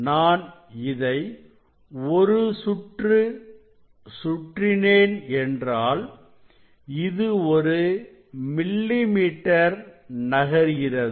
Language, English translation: Tamil, if I rotate one complete rotation then it will be here it will move by 1 millimetre